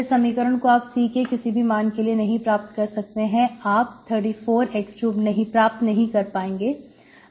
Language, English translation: Hindi, This is, this you cannot get it from any C value, you put any C value, you cannot get 3 by4 x square